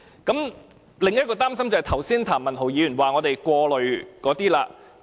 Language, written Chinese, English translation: Cantonese, 我另一個擔心是，譚文豪議員剛才指我們過慮的事情。, Another concern of mine is one which was said to be unfounded by Mr Jeremy TAM just now